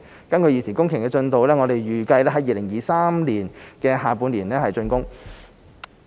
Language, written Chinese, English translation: Cantonese, 根據現時工程進度，體育園預計在2023年下半年竣工。, Given the current progress it is expected that the construction of the sports park will be completed in the second half of 2023